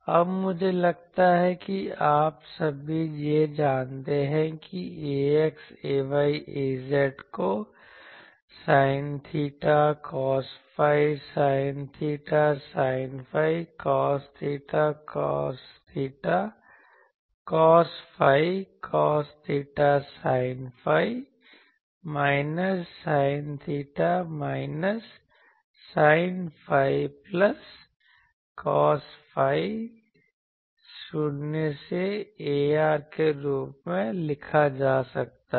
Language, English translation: Hindi, Now, I think all of you know this that ax ay az can be written as sine theta cos phi, sine theta sine phi, cos theta cos theta cos phi, cos theta sine phi, minus sine theta, minus sine phi, plus cos phi, 0 to ar